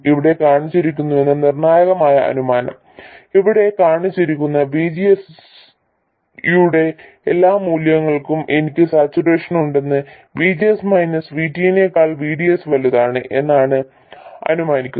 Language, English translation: Malayalam, The crucial assumption here is that for all values of VGS I have shown here I have assumed saturation which means that VDS is greater than VGs minus VT